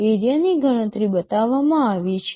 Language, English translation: Gujarati, The area calculation is shown